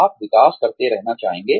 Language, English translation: Hindi, You will want to keep developing